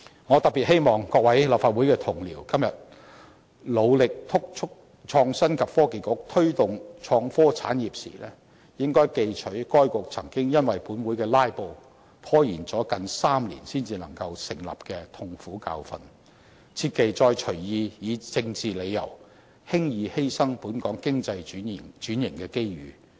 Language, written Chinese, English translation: Cantonese, 我特別希望各位立法會同事今天努力督促創新及科技局推動創科產業時，記取該局曾經因為本會的"拉布"，拖延了近3年才能成立的痛苦教訓，切忌再隨意以政治理由，輕易犧牲本港經濟轉型的機遇。, While fellow colleagues works hard in pressing the Innovation and Technology Bureau for promoting the innovation and technology industry I particularly hope that they can learn from the painful lesson that the Bureau took almost three years to set up because of a filibuster in this Council and refrain from forgoing our opportunity in economic transformation easily and randomly just for political reasons